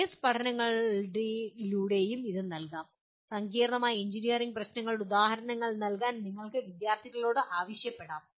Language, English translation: Malayalam, This also can be given through case studies and you can ask the students to give examples of complex engineering problems